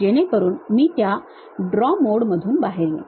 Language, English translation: Marathi, So, I will come out of that draw mode